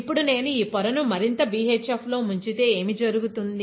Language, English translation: Telugu, Now if I dip this wafer further into BHF, what will happen